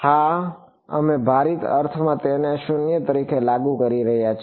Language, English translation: Gujarati, Yeah we are enforcing it to be 0 in a weighted sense